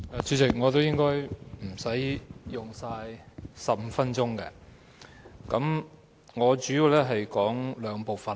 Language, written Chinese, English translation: Cantonese, 主席，我也應該不會用盡15分鐘的發言時間。, President I should not be using all the 15 minutes of my speaking time